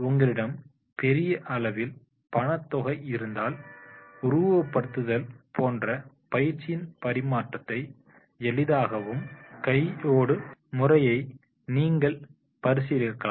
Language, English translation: Tamil, If you have a large budget, you might want to consider hands on methods that facilitate transfer of training such as the simulators can be also designed